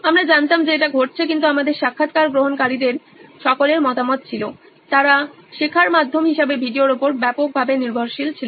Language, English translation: Bengali, We knew that was happening but the extent to which almost all of our interviewees were of the opinion, they were hugely dependent on videos as a medium for learning